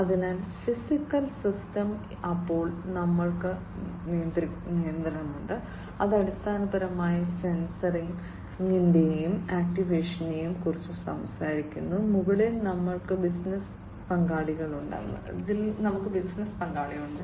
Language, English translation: Malayalam, So, physical system, then we have the control which is basically talking about sensing and actuation, and on top we have business layer